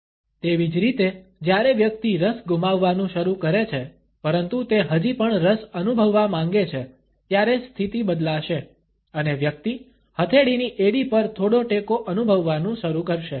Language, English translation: Gujarati, Similarly, when the person begins to lose interest, but still wants to come across as feeling interested, then the position would alter and the person would start feeling some support on the heel of the palm